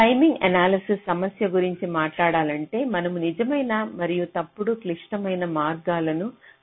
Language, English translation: Telugu, so talking about the timing analysis problem, here we are trying to identify true and false critical paths